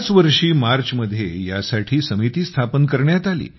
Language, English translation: Marathi, This very year in March, a committee was formed for this